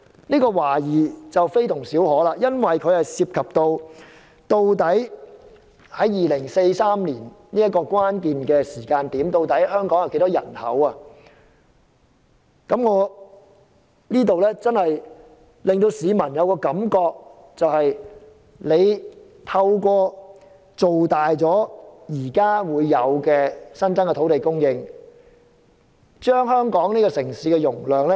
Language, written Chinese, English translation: Cantonese, 問題非同小可，涉及到在2043年這個關鍵時間，究竟香港有多少人口，亦令市民懷疑政府是否要透過增加土地供應，加大香港的城市容量。, This is no trivial matter . It involves the actual population in Hong Kong at the critical time of 2043 making people query if the Government aims at increasing its capacity by increasing land supply